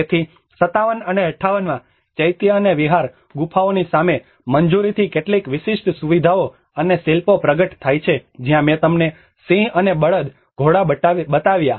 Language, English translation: Gujarati, So, in 57 and 58, clearance in front of the Chaitya and Vihara caves reveal some unique features and sculptures that is where I showed you the lion and bull, the horses